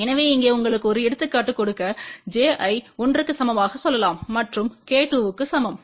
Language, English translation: Tamil, So, just to give you an example here, we have taken here let say j equal to 1 and k equal to 2